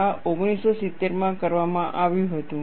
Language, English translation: Gujarati, This was done in 1970